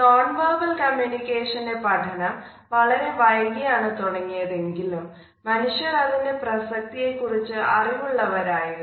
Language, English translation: Malayalam, Even though the codified studies of nonverbal aspects of communication is started much later we find that mankind has always been aware of its significance